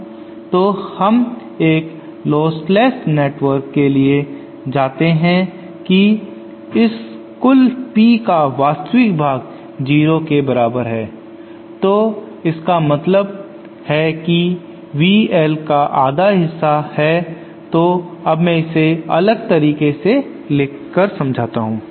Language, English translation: Hindi, So then we know for a lostless network the real part of this P total is equal to 0 so then this implies that half of V L